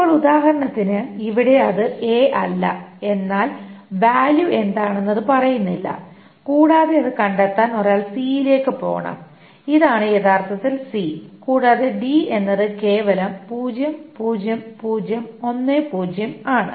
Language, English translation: Malayalam, Now note that for example here it is not A but it does not say what the value is and one is to go to C to find out that this is actually C and D is simply 00010